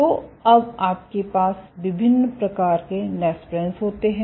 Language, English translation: Hindi, So, you have different type of nesprins